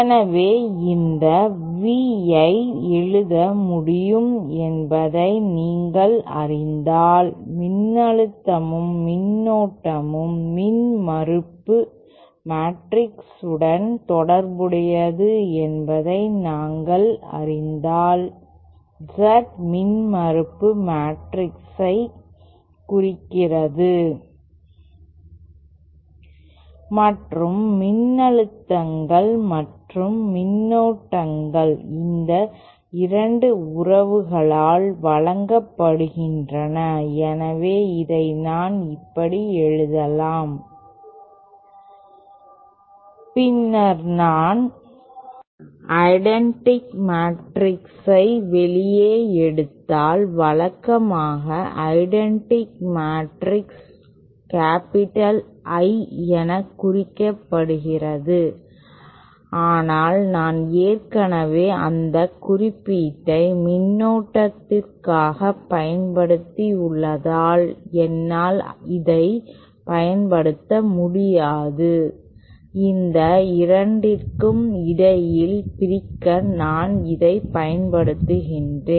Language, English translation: Tamil, So then with you know we can write this V so if we know that voltage and current are related to the impedance matrix where the Z represents the impedance matrix and the voltages and currents are given by these 2 relationships so I can simply write this asÉ And then this if I just take the identity matrix outside, usually the identity matrix is represented by the symbol capital I but since I have already used that symbol for current I cannot, just to separate between the 2 this I representing the current I use the symbol U